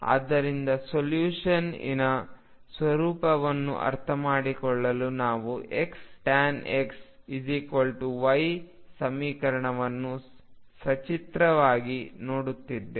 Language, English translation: Kannada, So, to understand the nature of solution we will look at the equation x tangent of x equals y graphically